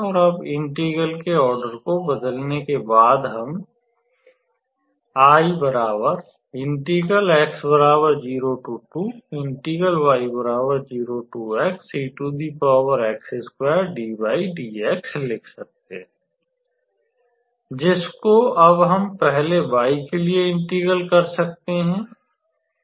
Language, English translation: Hindi, So, now, we can be able to integrate this integral with respect to y first